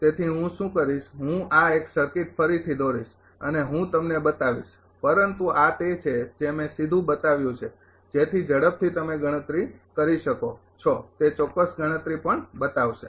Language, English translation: Gujarati, So, what I will do I draw this one this circuit again and I will show you, but this is this one I showed directly such that quickly you can compute after that exact calculation also will show